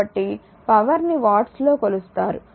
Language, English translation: Telugu, So, power is measured in watts